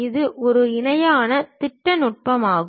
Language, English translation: Tamil, And it is a parallel projection technique